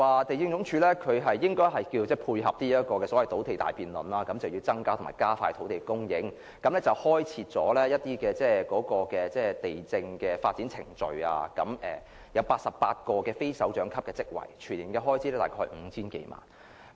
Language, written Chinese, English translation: Cantonese, 地政總署要配合土地大辯論，增加和加快土地供應，因此制訂了土地發展程序，並增設88個非首長級職位，全年預算開支約 5,000 萬元。, For dovetailing with the land debate on increasing and speeding up land supply LandsD has formulated a land development procedure and sought an estimated annual expenditure of some 50 million for creating 88 non - directorate posts